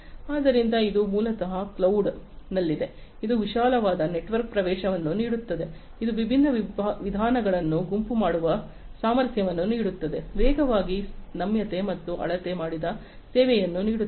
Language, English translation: Kannada, So, this is basically in a cloud offers wide network access, it offers the capability of grouping different methods, faster flexibility, and offering measured service